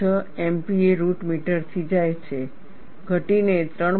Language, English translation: Gujarati, 6 Mpa root meter, drops down to 3